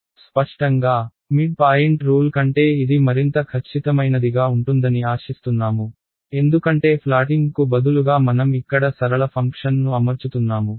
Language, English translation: Telugu, Obviously, we expect this to be more accurate than the midpoint rule ok, because instead of a flatting I am fitting a linear function over here ok